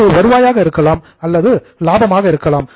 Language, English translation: Tamil, It can be revenues or it can be gains